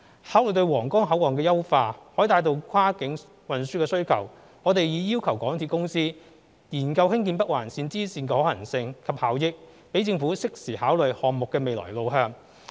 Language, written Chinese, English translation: Cantonese, 考慮到皇崗口岸的優化可帶動跨境運輸需求，我們已要求港鐵公司研究興建北環綫支綫的可行性及效益，讓政府適時考慮項目的未來路向。, Given that the improvement works of the Huanggang Port can fuel the demand for cross - boundary transport we have requested MTRCL to study the feasibility and effectiveness of constructing the bifurcation of NOL so as to allow the Government to consider the way forward on a timely basis